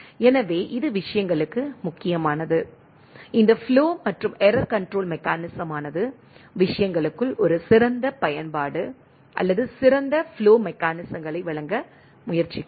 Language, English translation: Tamil, So, that is important for things, this flow and error control mechanism over and above tries to have provide a better utilization or better flow mechanisms within the things